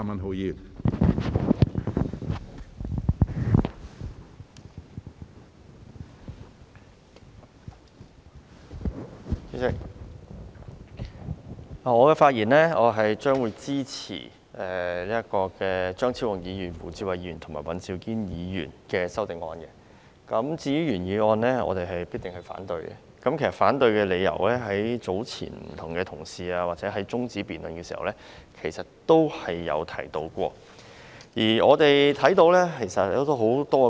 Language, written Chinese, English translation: Cantonese, 主席，我發言支持張超雄議員、胡志偉議員及尹兆堅議員提出的修正案，至於原議案，我是定必反對的，而反對的理由，早前多位同事在中止待續議案辯論時也有提到。, President I speak in support of the amendments moved by Dr Fernando CHEUNG Mr WU Chi - wai and Mr Andrew WAN . In regard to the original motion I will certainly oppose it for the reasons already mentioned by a number of Members during the debate on the adjournment motion